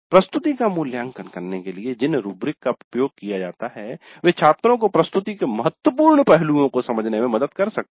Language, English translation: Hindi, The rubrics which are used to evaluate the presentation can help the students understand the important aspects of presentation